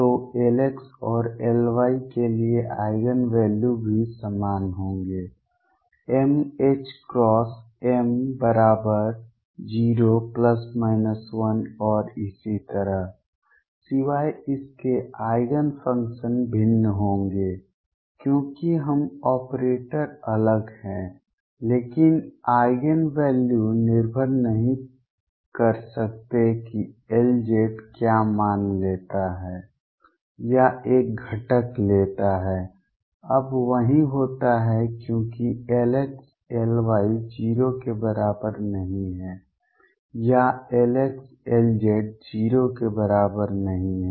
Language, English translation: Hindi, So, Eigen values for L x and L y will also be same m h cross m equals 0 plus minus 1 and so on except that the Eigen functions would be different because now the operator is different, but the Eigen values cannot depend what value L z takes or a component takes is the same the only thing that happens is now because L x L y is not equal to 0 or L x L z is not equal to 0 therefore, I cannot find simultaneous Eigen functions of L x L y and L z